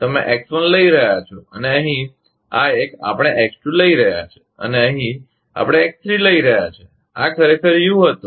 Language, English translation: Gujarati, You are taking X1 and here, this one, we are taking X2 and here, we are taking X3 and this was actually U